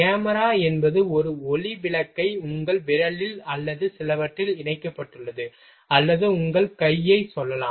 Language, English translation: Tamil, And camera is one light bulb is attached to your finger or some or you can say your hand